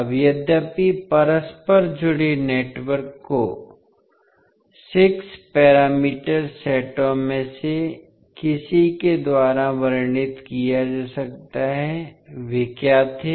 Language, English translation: Hindi, Now, although the interconnected network can be described by any of the 6 parameter sets, what were those